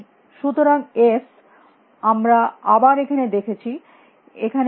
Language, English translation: Bengali, So, s we are seen here again we are seen it here again we are seen it here